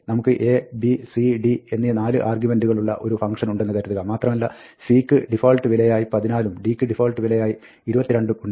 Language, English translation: Malayalam, Suppose we have a function with 4 arguments a, b, c, d and we have, c has the default value 14, and d has a default value 22